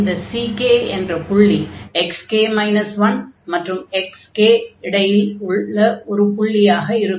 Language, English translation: Tamil, So, this c k point and then so c k is between x 0 and x 1 in this interval